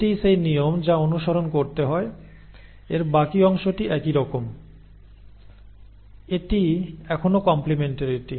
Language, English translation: Bengali, So this is the rule which has to be followed, but rest of it is the same, it is still complementarity